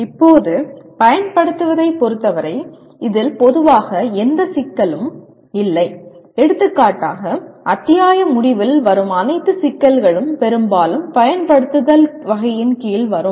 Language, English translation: Tamil, Now as far as apply is concerned, that is fairly commonly there is no complication in that and for example all the end of the chapter problems mostly will come under the category of apply